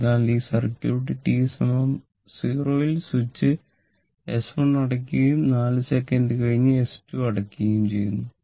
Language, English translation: Malayalam, So, at t is equal to 0 switch S 1 is closed and 4 second later S 2 is closed